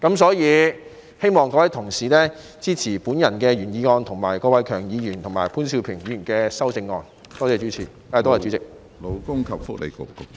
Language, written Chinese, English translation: Cantonese, 所以，我希望各位同事支持我的原議案，以及郭偉强議員及潘兆平議員的修正案，多謝主席。, Is that right President? . I therefore hope that fellow colleagues will support my original motion as well as the amendments proposed by Mr KWOK Wai - keung and Mr POON Siu - ping . Thank you President